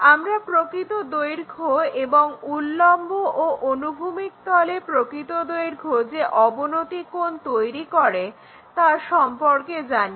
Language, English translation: Bengali, Somehow we already know that true length and angle made by the vertical plane, horizontal plane